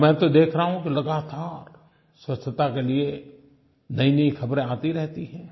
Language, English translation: Hindi, And I see clearly that the news about cleanliness keeps pouring in